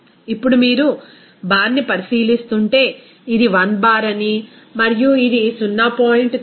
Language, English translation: Telugu, Now, if you are considering bar, so there you know that this should be 1 bar and this would be 0